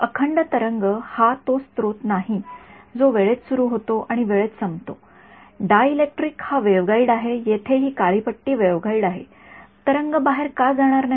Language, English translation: Marathi, Continuous wave it is not that source that starts in time and that decays in time continuous wave the dielectric is the waveguide this black strip over here is the waveguide why would not the wave go out ok